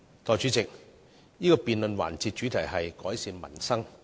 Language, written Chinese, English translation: Cantonese, 代理主席，這項辯論環節的主題是"改善民生"。, Deputy President the theme of this debate session is Improving Peoples Livelihood